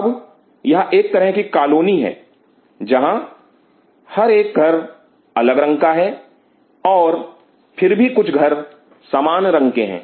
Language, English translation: Hindi, Now it is a kind of a colony where every house has different color and yet some houses which are of similar color